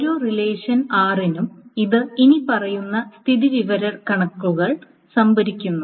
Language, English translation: Malayalam, So for each relation R, it stores the following statistics